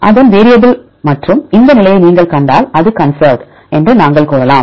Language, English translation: Tamil, Its variable and we can also say it is conserved if you see this position